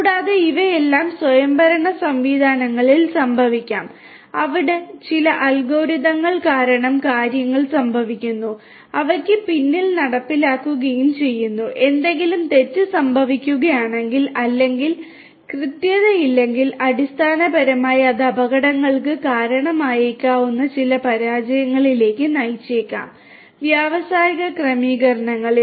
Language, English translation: Malayalam, And, all of these can happen in autonomous systems where things are happening you know due to certain algorithms that are implemented you know behind the scene and are getting executed and if you know if some something goes wrong or is imprecise then basically that might lead to certain failures which can lead to accidents in the industrial settings